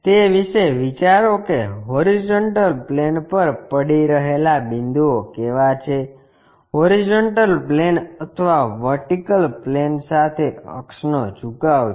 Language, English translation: Gujarati, Think about it what are the points resting on horizontal plane, is the axis incline with the horizontal plane or vertical plane